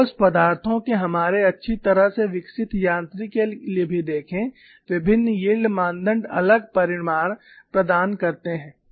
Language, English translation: Hindi, See, even for our well developed mechanics of solids, different yield criteria provide different results